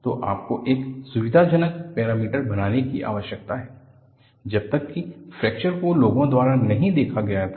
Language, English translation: Hindi, So, you need to make a convenient parameter, until then fracture was not looked at by people